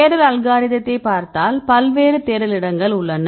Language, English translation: Tamil, If you look into the search algorithm, there are various number of search space